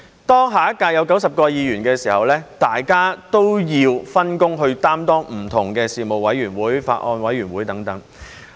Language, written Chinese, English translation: Cantonese, 當下一屆有90位議員時，大家也要分工擔當不同的事務委員會、法案委員會等的職務。, As the Legislative Council of the next term consists of 90 Members all Members need to serve on various Panels and Bills Committees